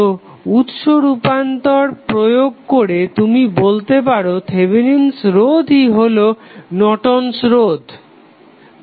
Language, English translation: Bengali, So, using this source transformation technique you can say that Thevenin resistance is nothing but Norton's resistance